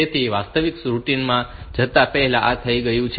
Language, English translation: Gujarati, So, before going into the actual routine, this is done